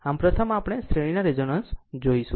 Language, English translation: Gujarati, So, first we will see the series resonance